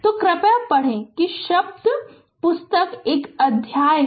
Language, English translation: Hindi, So, please read that word book is a chapter